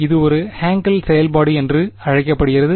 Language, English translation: Tamil, It is called a Hankel function